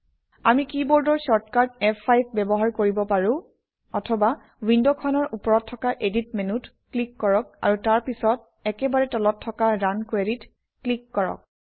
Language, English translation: Assamese, We can use the keyboard shortcut F5, or click on the Edit menu at the top of the window, and then click on Run Query at the bottom